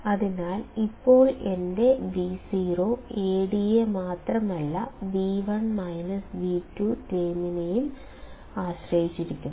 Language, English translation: Malayalam, So, now my Vo will not only depend on Ad but V1 minus V2 term as well